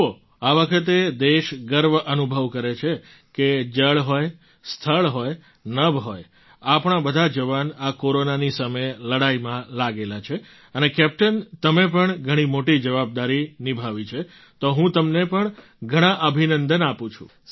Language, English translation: Gujarati, See this time the country feels proud that whether it is water, land, sky our soldiers are engaged in fighting the battle against corona and captain you have fulfilled a big responsibility…many congratulations to you